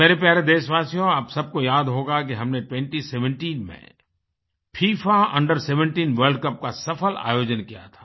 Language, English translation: Hindi, My dear countrymen, you may recall that we had successfully organized FIFA Under 17 World Cup in the year2017